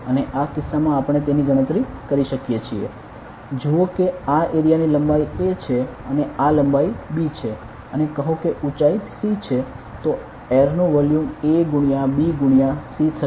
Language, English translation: Gujarati, And in this case we could calculate it as; see if the this is area a length a and this is length b and say there is a height c then the volume of air will be an into b into c ok